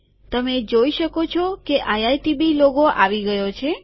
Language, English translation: Gujarati, You can see that iitb logo has come